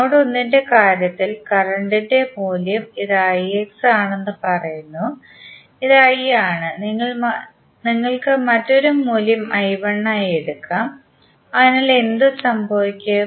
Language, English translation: Malayalam, In case of node 1 the value of current say this is i X, this is I and this may you may take another value as i 1, so what will happen